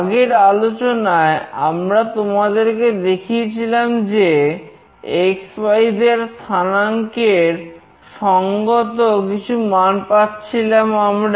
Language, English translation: Bengali, In the previous lecture, we have shown you that we are receiving some values corresponding to x, y, z coordinates